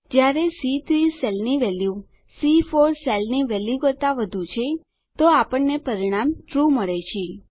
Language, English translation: Gujarati, Since the value in cell C3 is greater than the value in cell C4, the result we get is TRUE